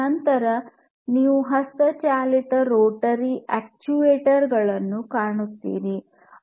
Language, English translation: Kannada, Then the next one is electric rotary actuator